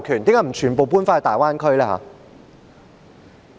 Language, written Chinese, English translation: Cantonese, 為何不全部搬到大灣區？, Why do they not all move to the Greater Bay Area?